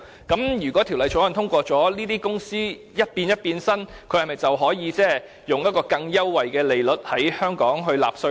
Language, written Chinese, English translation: Cantonese, 因此，一旦《條例草案》獲得通過，這些公司是否稍作變身便可以在香港以較優惠的稅率納稅？, So after the Bill is passed will these companies still be entitled to such a preferential tax rate in Hong Kong with some minor modifications?